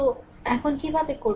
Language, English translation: Bengali, So, now how will do it